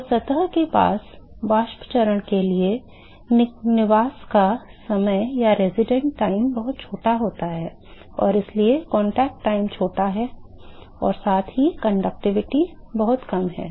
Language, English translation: Hindi, So, the residence time for the vapor phase near the surface is very small and so, the contact time is small and also, the conductivity is very small